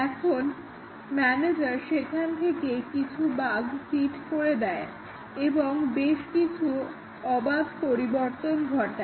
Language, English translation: Bengali, And, now the manager seeded a set of bugs there; made arbitrary changes